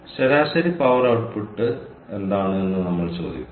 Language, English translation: Malayalam, we are ask: what is the average power output